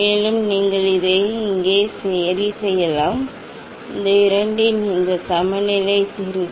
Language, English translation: Tamil, And also, you can adjust here this, this levelling screw of their these two